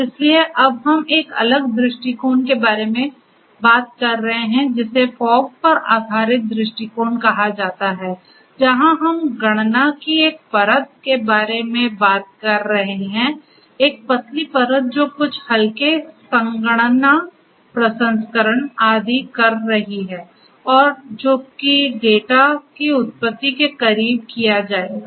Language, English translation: Hindi, So, we are now talking about a different approach which is called the fog based approach where we are talking about a layer of computation, a thin layer of computation performing, some lightweight computation processing and so on, which will be done closer to the origination of the data